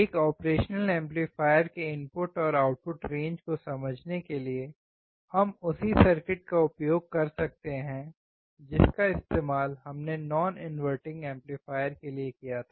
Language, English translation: Hindi, To understand the input and output range of an operational amplifier, we can use the same circuit which we used for the non inverting amplifier